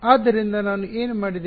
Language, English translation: Kannada, So, what did I do